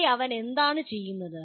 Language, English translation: Malayalam, So here what is he doing